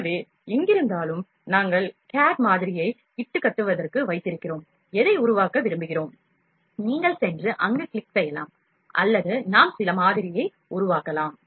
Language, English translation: Tamil, So, wherever we have kept the cad model for fabrication, whatever we want to fabricate; you can just go and click there or we can even generate some model